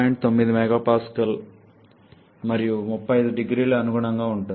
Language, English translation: Telugu, 9 MPa and 35 0C